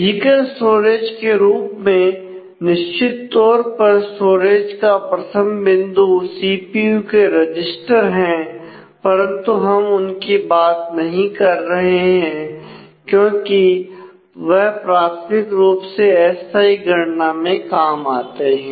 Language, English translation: Hindi, So, in terms of the physical storage certainly the absolute starting point of the storage is registered in the CPU; we are not talking about that because they are primarily meant for temporary computations